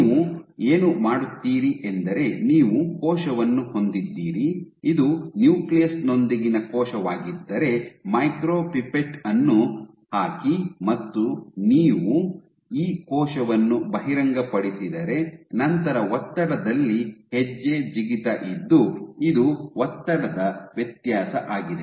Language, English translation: Kannada, So, what you do is you have a cell, if this is your cell with the nucleus put a pipette a micropipette and you expose this cell go step jump in pressure, this is a pressure difference